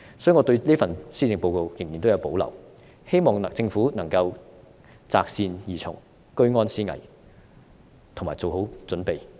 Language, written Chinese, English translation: Cantonese, 所以，我對這份施政報告仍然有保留，希望政府能夠擇善而從，居安思危，以及做好準備。, Therefore I still have reservations about this Policy Address and hope that the Government can heed good advice remain vigilant about risks and be well prepared